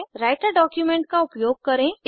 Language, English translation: Hindi, Use the Writer document